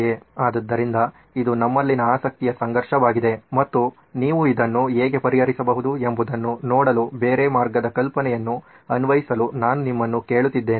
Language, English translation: Kannada, So this is the conflict of interest we had and I am asking you to apply the other way round idea to see how you can solve this